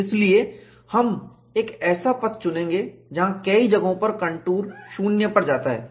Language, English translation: Hindi, So, we will choose a path, where the contour goes to 0 at many places